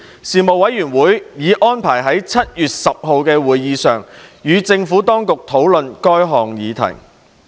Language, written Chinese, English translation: Cantonese, 事務委員會已安排於7月10日的會議上與政府當局討論這項議題。, The Panel would hold a meeting on 10 July to discuss this subject with the Administration